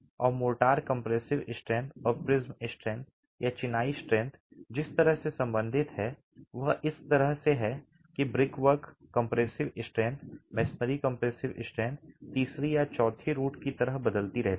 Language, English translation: Hindi, And the way the motor compressive strength and the prism strength or the masonry strength are related is in this manner that the brickwork compressive strength, masonry compressive strength varies as the third of the fourth root